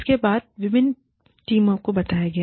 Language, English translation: Hindi, Different teams were told about it